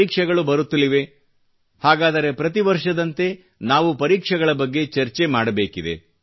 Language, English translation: Kannada, Exams are round the corner…so like every other year, we need to discuss examinations